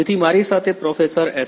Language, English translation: Gujarati, So, I have with me Professor S